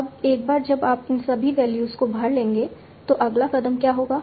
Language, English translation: Hindi, Now once you have filled in all these values, what will be the next step